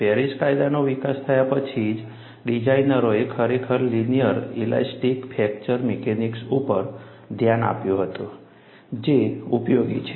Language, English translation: Gujarati, Only after Paris law was developed, designers really looked at, linear elastic fracture mechanics is useful